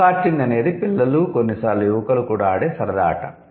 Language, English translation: Telugu, Go karting is a kind of fun game that the kids sometimes the young adults also play